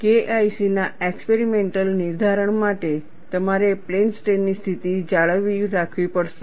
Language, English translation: Gujarati, For an experimental determination of K 1C, you have to maintain plane strain condition